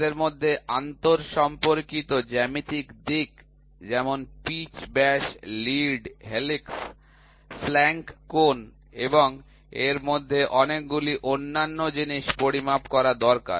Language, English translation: Bengali, We need to measure the interrelated geometric aspect such as pitch diameter, lead, helix, flank angle and many other things amongst them